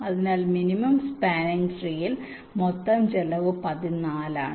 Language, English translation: Malayalam, so total cost is fourteen for minimum spanning tree